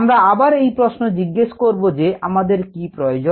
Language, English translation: Bengali, the first question to ask is: what is needed